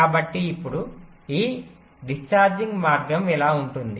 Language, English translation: Telugu, so now this discharging path will be like this